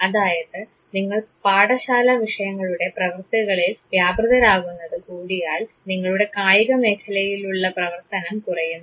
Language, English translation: Malayalam, So, if your engagement in scholastic activities increases you are activity in the sports field diminishes